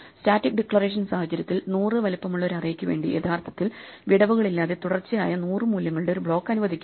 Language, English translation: Malayalam, In a statically declared situation, an array of size hundred will actually be allocated as a block of hundred contiguous values without gaps